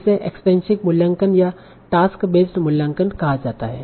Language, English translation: Hindi, So this is called extensive evaluation or task based evaluation